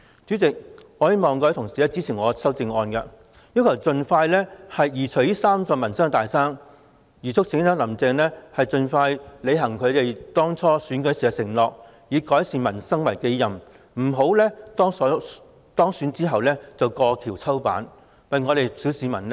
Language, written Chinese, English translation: Cantonese, 主席，我希望各位同事支持我的修正案，要求政府盡快移除這三座民生"大山"，促請"林鄭"盡快履行當初的競選承諾，以改善民生為己任，為小市民的利益多做工夫，不要當選後便過橋抽板。, President I hope Honourable colleagues will support my amendment which calls on the Government to expeditiously remove these three big mountains plaguing the peoples livelihood and urges Carrie LAM to expeditiously honour her election pledges by taking on the responsibility of improving the peoples livelihood and adopting more initiatives in the interest of the public rather than kicking down the ladder after she was elected